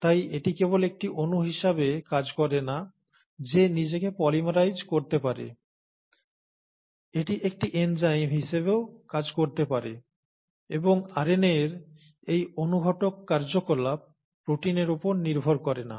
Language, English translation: Bengali, So, it not only acts as a molecule which can polymerize itself, it also can act as an enzyme, and this catalytic activity of RNA is not dependent on proteins